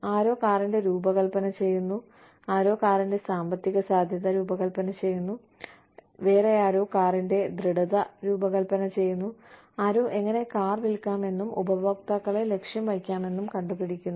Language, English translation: Malayalam, Somebody is designing the car, somebody is designing the economic feasibility of the car, somebody is designing the sturdiness of the car, somebody is designing, somebody is figuring out, how to sell the car, to the target customers, etc